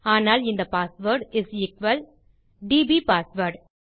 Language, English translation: Tamil, But this password is equal dbpassword